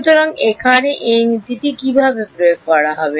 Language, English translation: Bengali, So, how will apply this principle here